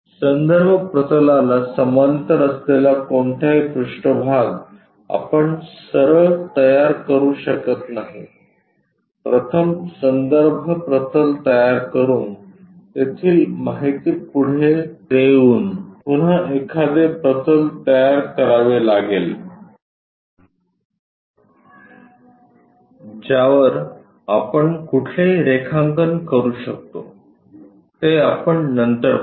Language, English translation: Marathi, Any surface parallel to reference plane we can not straight away construct it, first we have to construct a reference plane pass the information from there again construct one more plane on that only we can construct any drawing, we will see that later